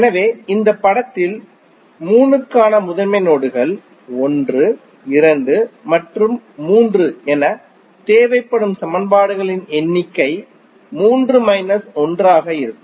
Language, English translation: Tamil, So, in this figure the principal nodes for 3; 1, 2 and 3, so number of equations required would be 3 minus 1